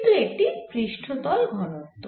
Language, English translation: Bengali, but this is a substance density